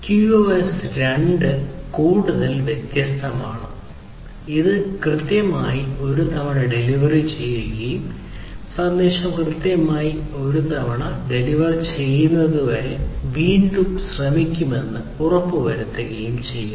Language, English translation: Malayalam, QoS 2 is further different; it is about exactly once delivery and ensuring that and the retry over here is performed until the message is delivered exactly once